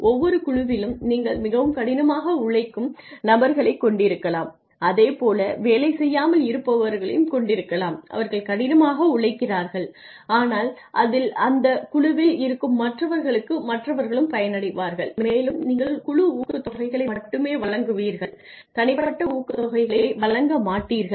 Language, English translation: Tamil, In every team you could have people who work very hard and you could have people who are free riders, who do not work hard, but take the benefits that are given to that team and that could be enhanced if you give only team incentives and not individual incentives ok